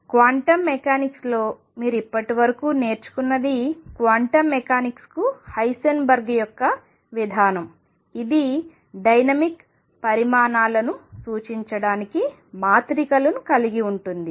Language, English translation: Telugu, What you have learnt so far in quantum mechanics is Heisenberg’s approach to quantum mechanics, which essentially involved matrices to represent dynamical quantities